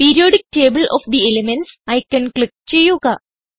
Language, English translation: Malayalam, Click on Periodic table of the elements icon